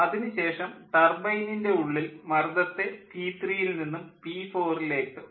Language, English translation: Malayalam, then in the turbine the gas is rejected from p three to p four